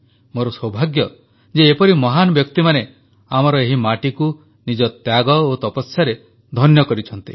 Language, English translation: Odia, It is our good fortune that such great personalities have reared the soil of India with their sacrifice and their tapasya